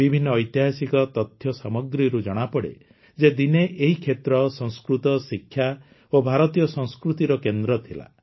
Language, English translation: Odia, Various historical documents suggest that this region was once a centre of Sanskrit, education and Indian culture